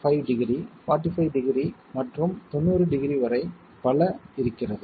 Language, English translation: Tamil, 5 degrees, 45 degrees and so on up to 90 degrees